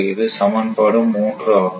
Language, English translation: Tamil, So, this is equation one